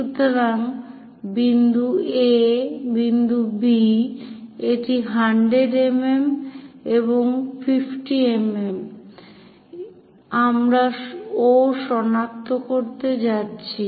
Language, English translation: Bengali, So, point A, point B this is 100 mm, and at 50 mm we are going to locate O